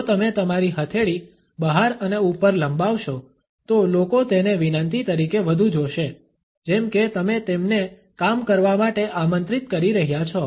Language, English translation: Gujarati, If you extend your palm out and up people see this more as a request like you are inviting them to do things